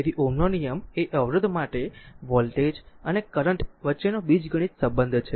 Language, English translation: Gujarati, So, Ohm’s law is the algebraic relationship between voltage and current for a resistor